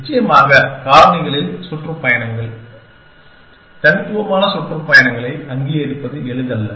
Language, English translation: Tamil, Of course, in factors it may not be easy to recognize the tours, the distinct tours